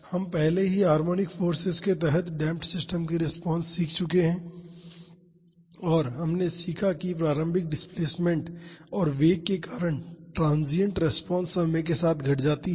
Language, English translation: Hindi, We have already learnt the response of damped systems under harmonic forces and we learned that transient responses due to initial displacement and velocity decays in time